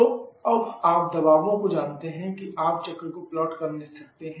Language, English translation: Hindi, So, you know the pressure and again plot the cycles as we know the pressure